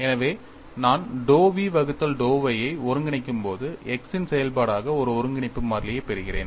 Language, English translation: Tamil, So, when I go to dou v by dou y when I integrate, I get a integration constant as function of x